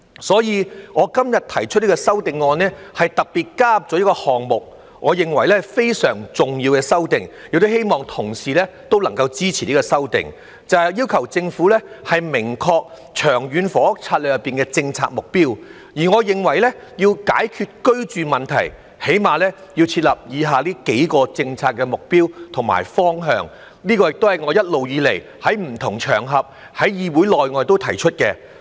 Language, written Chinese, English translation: Cantonese, 所以，我今天提出的修正案，特別加入了一個項目，我認為是非常重要的修訂，亦希望同事能夠支持這項修訂，就是要求政府明確《長策》的政策目標，而我認為要解決居住問題，起碼要設立以下幾個政策目標及方向，這亦是我一直以來在不同場合、在議會內外提出的。, This is why in my amendment today I have particularly included an item which I consider to be a very important amendment . I hope that colleagues can support this amendment which calls on the Government to formulate clear policy objectives for LTHS and I think in order to solve the housing problem the Government should at least set the following policy objectives and directions which I have consistently proposed on various occasions both inside and outside this Council